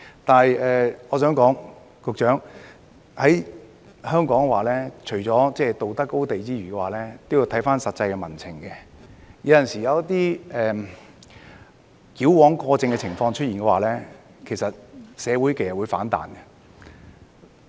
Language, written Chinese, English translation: Cantonese, 局長，我想說，在香港，除了道德高地外，也要考慮實際民情，有時一些矯枉過正的情況出現，社會其實會反彈。, Secretary I would like to say that in Hong Kong apart from the moral high ground we also need to consider the actual public sentiment . In case of overkill there will be public outcry